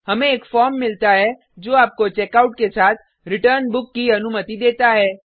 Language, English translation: Hindi, We get a form which allows you to checkout as well as return book